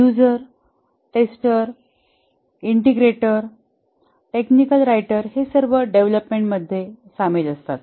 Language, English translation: Marathi, The end user, the tester, integrator, technical writer, all are involved in the development